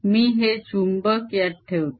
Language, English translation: Marathi, i put this magnet inside